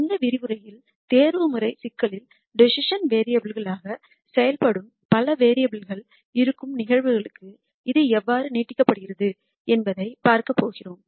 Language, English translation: Tamil, In this lecture we are going to see how this is extended to cases where there are multiple variables that act as decision variables in the optimization problem